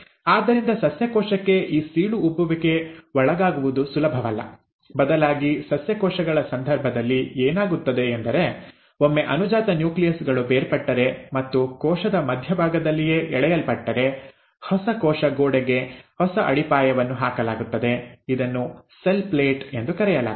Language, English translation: Kannada, So for a plant cell, it is not easy to undergo this cleavage furrow; instead what happens in case of plant cells is once the daughter nuclei have separated and being pulled apart right at the centre of the cell, there is a new foundation laid for a newer cell wall which is called as the cell plate